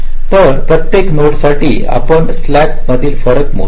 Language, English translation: Marathi, so for every node, we calculate the slack, the difference